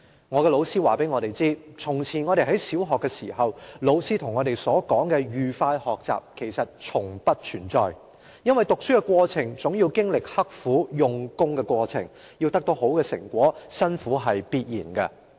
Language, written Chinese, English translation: Cantonese, 我的老師告訴我們，從前我們在小學的時候，老師跟我們所說的'愉快學習'其實從不存在，因為讀書的過程總要經歷刻苦用功的過程，要得到好的成果，辛苦是必然的。, My teacher told us that joyful learning an idea that our teachers in primary school used to talk about actually has never existed as one has to study assiduously in order to get good marks . Hardship is inevitable